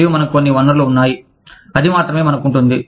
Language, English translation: Telugu, And, we have some resources, that only, we can have